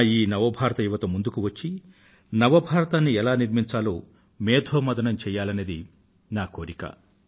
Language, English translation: Telugu, My New India Youth should come forward and deliberate on how this New India would be formed